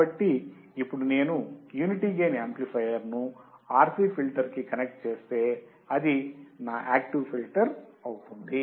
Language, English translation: Telugu, So, now if I connect a unity gain amplifier with a low pass filter which is my RC filter, it becomes my active filter